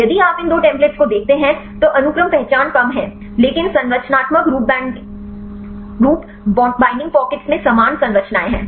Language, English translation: Hindi, If you see these two templates, the sequence identity is less but structurally these binding pockets are having similar structures